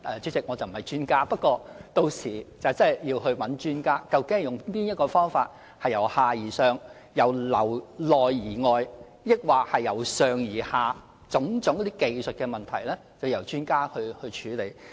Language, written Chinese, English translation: Cantonese, 主席，我不是專家，屆時真的要讓專家看看究竟是由下而上、由內而外還是由上而下哪種方法來處理種種技術的問題。, President I am no expert . In such cases we must ask for technical advice from experts so as to ascertain whether we should work from the bottom to the top or from the top to the bottom or from the inside to the outside